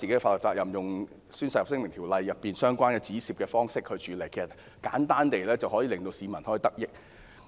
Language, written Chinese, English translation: Cantonese, 當局可採用《宣誓及聲明條例》中相關的方式處理，令市民得益。, The authorities can adopt options mentioned in the Oaths and Declarations Ordinance to deal with those cases to benefit the people